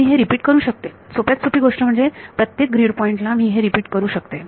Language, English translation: Marathi, I can repeat this at, I can repeat this at every grid point easiest thing